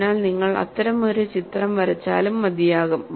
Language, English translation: Malayalam, So, even if you draw one such figure, it is good enough